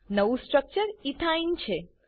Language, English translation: Gujarati, The new structure is Ethene